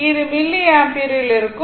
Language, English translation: Tamil, It is in milliampere